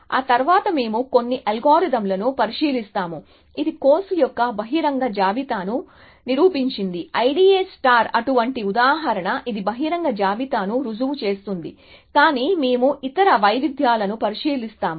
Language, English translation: Telugu, After that, we will look at some algorithms, which proven the open list of course, we have seen I D A star is one such a example, which proves a open list, but we will look at a other variations